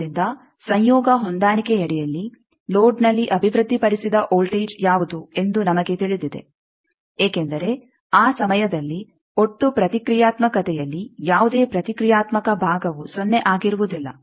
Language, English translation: Kannada, So, under conjugate match, we know what is the voltage developed at the load, that you worked out because that time no reactive part in the total reactance is 0